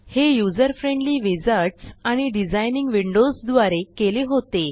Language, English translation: Marathi, by using the very user friendly wizards and designing windows